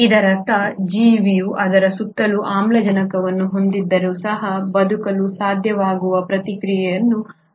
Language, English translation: Kannada, That means the organism should have evolved a process by which despite having oxygen around it should be able to survive